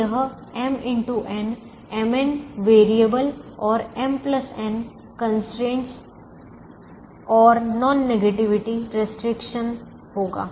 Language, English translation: Hindi, so it will have m into n, m n variables and m plus n constraints and a non negativity restriction